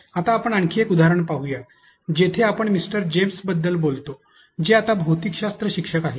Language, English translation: Marathi, Now, let us look into another example where we speak about Mister James who is a physics teacher now